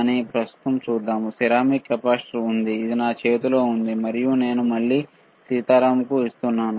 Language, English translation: Telugu, But, right now let us see if the ceramic capacitor is there, which is in my hand and I am giving to again to Sitaram